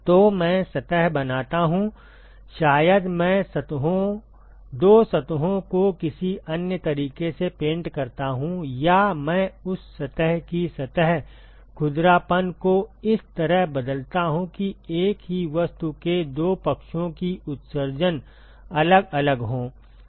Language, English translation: Hindi, So, I create the surface maybe I paint the surfaces, two surfaces in some other way, or I alter the surface roughness of that surface as such that the emissivity of the two sides of the same object is different ok